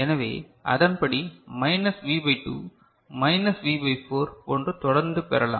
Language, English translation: Tamil, So, according it will get minus V by 2 minus V by 4 and so on and so forth